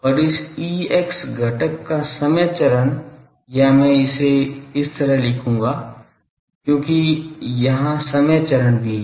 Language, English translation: Hindi, And time phase of this E x component or I will write it like this because there are also the time phase